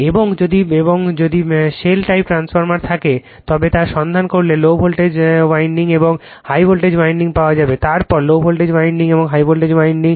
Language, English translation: Bengali, And if the shell type transformer is there if you look into that you will find low voltage winding and high voltage winding, then low voltage winding and high voltage winding, right,